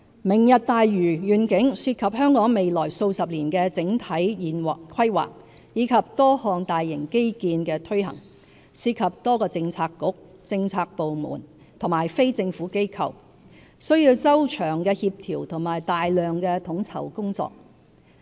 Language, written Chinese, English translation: Cantonese, "明日大嶼願景"涉及香港未來數十年的整體規劃及多項大型基建的推行，涉及多個政策局、政府部門和非政府機構，需要周詳的協調和大量統籌工作。, The Lantau Tomorrow Vision involves the overall planning of the city and implementation of a number of major infrastructure projects in the coming decades and requires the efforts of various bureaux government departments and non - governmental organizations which entails a large amount of meticulous coordination work